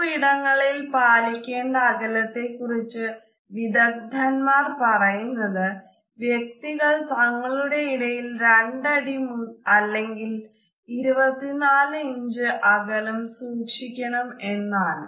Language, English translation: Malayalam, The rules of personal space in public places etiquette experts suggest that human beings should keep 2 feet of space or 24 inches between them